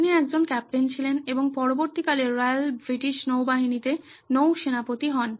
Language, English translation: Bengali, So he was a captain and later became an admiral with the Royal British Navy